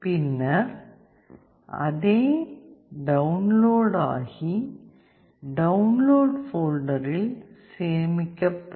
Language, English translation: Tamil, Once you compile then the code will get downloaded, save it in the Download folder